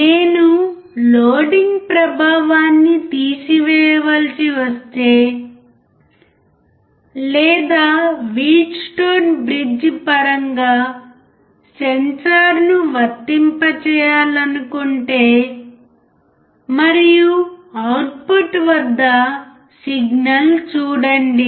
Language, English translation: Telugu, But what if I have to remove the loading effect, or what if I want to apply the sensor in terms of Wheatstone bridge, and see the signal at the output